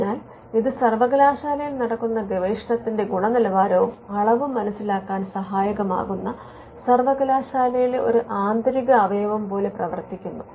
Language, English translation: Malayalam, So, this becomes an internal organ within the university which can look at the quality and the quantity of research